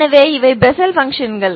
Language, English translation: Tamil, So these are Bessel functions